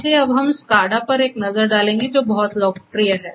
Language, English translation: Hindi, So, we will now have a look at the SCADA which is very popular